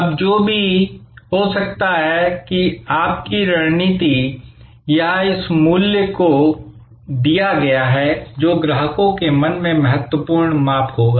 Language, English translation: Hindi, Now, whatever maybe your strategy, it is this value delivered will be the key measurement in customers mind